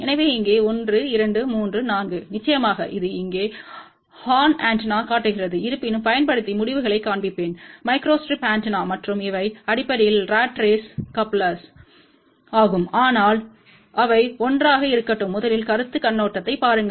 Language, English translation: Tamil, So, here 1 2 3 4 of course, this one shows here horn antenna; however, I will show you the results using microstrip antenna, and these are the basically ratrace couplers which are put together, but let just first look at the concept point of view